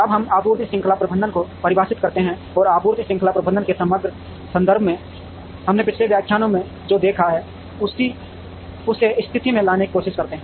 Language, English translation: Hindi, Now, we define supply chain management, and also try to position what we have seen in the previous lectures, in the overall context of supply chain management